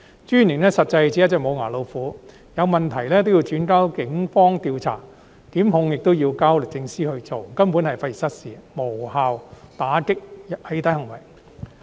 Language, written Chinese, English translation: Cantonese, 私隱專員實際上只是一隻"無牙老虎"，有問題都要轉交警方調查，檢控亦要交律政司進行，根本費時失事，無法有效打擊"起底"行為。, The Commissioner is in fact a toothless tiger because she has to refer any problems to the Police for investigation and to the Department of Justice DoJ for prosecution . This approach is indeed costly in terms of both time and effort so it fails to effectively combat doxxing acts